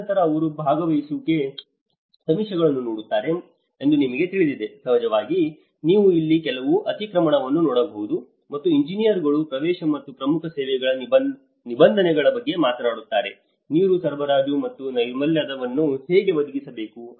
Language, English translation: Kannada, And then you know they look at the participatory surveys, of course you can see some overlap here, and the engineers talk about the access and the provision of key vital services, how the water supply or sanitation has to be provided